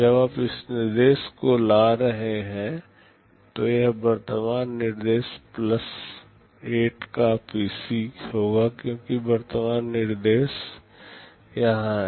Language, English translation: Hindi, When you are fetching this instruction, this will be the PC of the current instruction plus 8, because current instruction is here